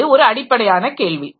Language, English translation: Tamil, So, this is a basic question